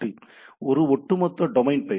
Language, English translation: Tamil, So, this is a overall domain name